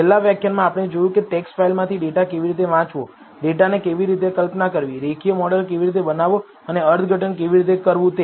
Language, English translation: Gujarati, In the last lecture, we saw how to read a data from a text file, how to visualize the data, how to build a linear model, and how to interpret it